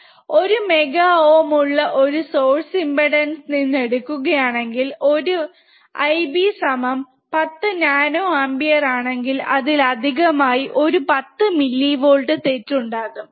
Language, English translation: Malayalam, Driven from a source impedance of one mega ohm, if I B is 10 nanoampere, it will introduce an additional 10 millivolts of error